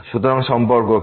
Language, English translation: Bengali, So, what is the relation